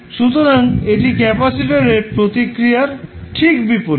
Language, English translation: Bengali, So, this is just opposite to our response capacitor response